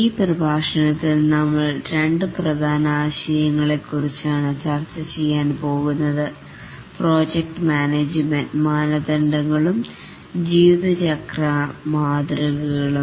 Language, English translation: Malayalam, In this lecture, we'll discuss two main concepts, the project management standards and the lifecycle models